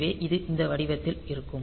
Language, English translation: Tamil, So, this will be in this format